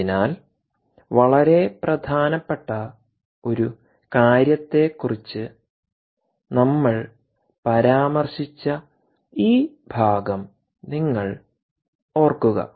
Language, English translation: Malayalam, so now, ah, you recall this part we mentioned about ah, one important thing that is very critical